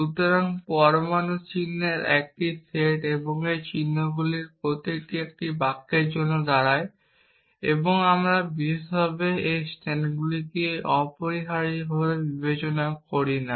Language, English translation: Bengali, So, something like this accountably, if a set of atomics symbols and each of these symbols stands for a sentence and we do not particularly care about its stands for essentially